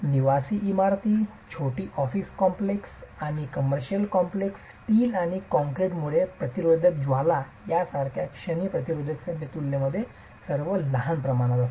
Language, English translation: Marathi, So, residential buildings, small office complexes and commercial complexes, all scale in comparison to moment resisting frames like steel and concrete moment resisting frames